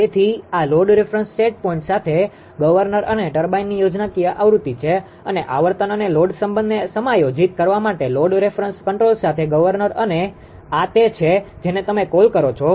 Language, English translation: Gujarati, So, this is the schematic diagram of governor and turbine with that load reference set point and governor with load reference control for adjusting frequency and load relationship and this is your what you call